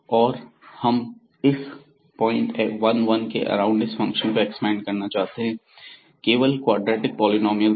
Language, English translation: Hindi, And we want to expand this only the quadratic polynomial around this point 1 1